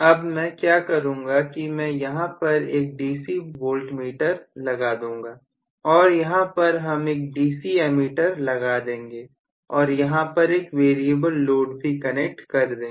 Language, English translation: Hindi, So, what I would do is to put a DC, so I am going to put a DC voltmeter here1, and I will also but a DC ammeter here, and I will put a load which is variable